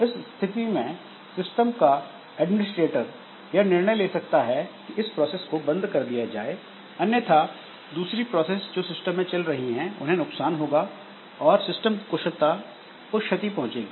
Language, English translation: Hindi, So, the system administrator may decide that this process be terminated because otherwise other processes in the system, so they are suffering